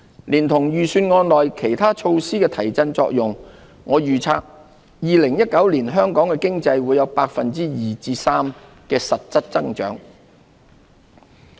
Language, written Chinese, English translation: Cantonese, 連同預算案內其他措施的提振作用，我預測2019年香港經濟會有 2% 至 3% 的實質增長。, Together with the stimulus effect of other measures in the Budget I forecast economic growth of 2 % to 3 % in real terms for Hong Kong in 2019